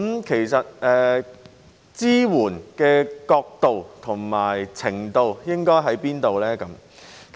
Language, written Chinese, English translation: Cantonese, 其實，有關支援應該是到甚麼程度呢？, In fact to what extent should the support be provided?